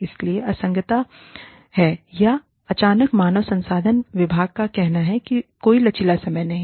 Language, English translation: Hindi, So, there is inconsistency, or, suddenly the HR department says, no flexible timings